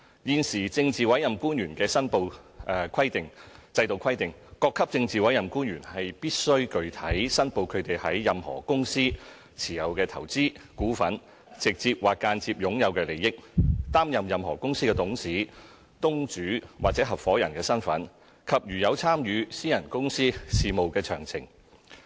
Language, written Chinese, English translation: Cantonese, 現時政治委任官員的申報制度規定，各級政治委任官員必須具體申報他們在任何公司持有的投資、股份、直接或間接擁有的利益；擔任任何公司的董事、東主或合夥人身份；以及如有參與私人公司事務的詳情。, The current declaration system for PAOs requires PAOs of all ranks to declare their investment shareholding direct or indirect interest in any company; their directorships proprietorships or partnerships in any company; and if any the specific details concerning their participation in any private companys affairs